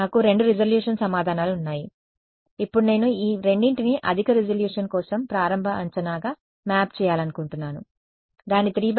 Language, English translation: Telugu, I have got two resolution answer, now I want to map these two as an initial guess for a higher resolution its a 3 cross 3, then what do I do I have to